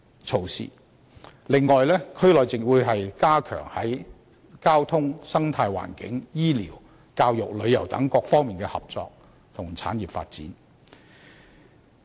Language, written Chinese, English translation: Cantonese, 此外，區內還會加強在交通、生態環境、醫療、教育、旅遊等各方面的合作和產業發展。, Furthermore measures will also be taken to improve cooperation and development of industries in various aspects such as transportation the ecological environment health care education tourism and so on